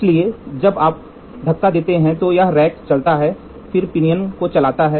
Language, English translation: Hindi, So, when you push, this rack moves then the pinion moves